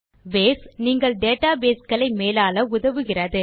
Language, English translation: Tamil, Base helps you to manage databases